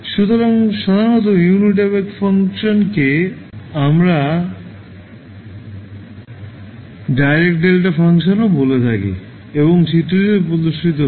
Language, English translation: Bengali, So, generally the unit impulse function we also call as direct delta function and is shown in the figure